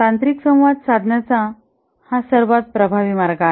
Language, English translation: Marathi, This is the most effective way to communicate technical items